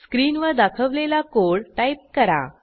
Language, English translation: Marathi, Type the code as displayed on the screen